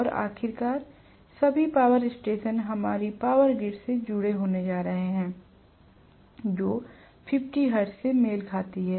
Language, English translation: Hindi, And after all, all the power stations are going to be connected to our power grid, which corresponds to 50 hertz